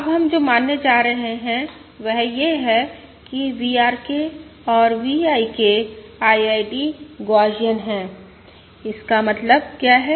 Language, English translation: Hindi, Now, what we are going to assume is that V R K and V I K are IID Gaussian